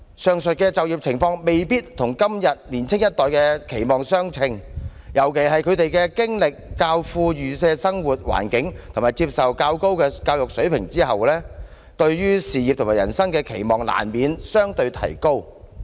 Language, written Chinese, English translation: Cantonese, 上述的就業情況未必與現今年青一代的期望相稱，尤其是他們經歷較富裕的生活環境和接受較高的教育水平後，對事業和人生的期望難免相對提高"。, The above development may not commensurate with the aspirations of todays young generation particularly better - off environment and higher educational attainment have heightened their expectations for career and life